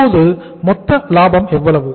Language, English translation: Tamil, So how much is the gross profit here